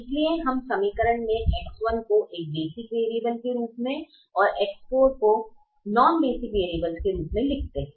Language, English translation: Hindi, therefore we write the equation with x one as a basic variable and x four as a non basic variable